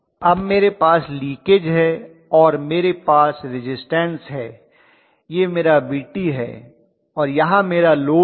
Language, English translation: Hindi, Now I have the leakage then I have the resistance, this is my Vt and here is my load